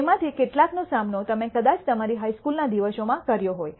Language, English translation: Gujarati, Some of it you might have already encountered in your high school days